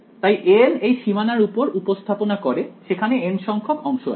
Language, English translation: Bengali, So, a n represents on this boundary there are n segments